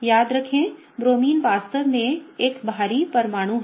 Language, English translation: Hindi, Remember the Bromine is a really bulky atom